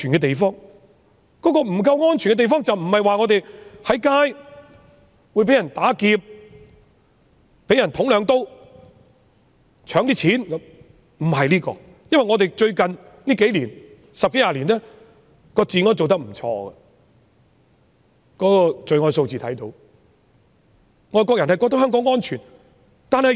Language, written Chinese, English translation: Cantonese, 所謂不夠安全，不是指走在街上會被人打劫、被人插兩刀或搶錢等，因為香港最近十多二十年的治安也做得不錯，這方面可以從罪案數字反映。, When I say not safe enough I do not mean that one will be robbed stabbed and their money snatched on the street . The law and order of Hong Kong has been fine in the past 10 to 20 years as reflected in the crime rates